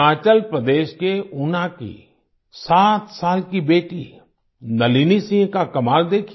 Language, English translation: Hindi, Look at the wonder of Nalini Singh, a 7yearold daughter from Una, Himachal Pradesh